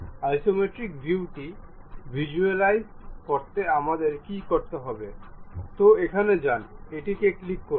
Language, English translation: Bengali, To visualize isometric view, what we have to do, go here, click that one